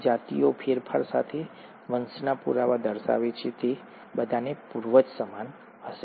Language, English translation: Gujarati, So, species show evidence of descent with modification, and they all will have common ancestor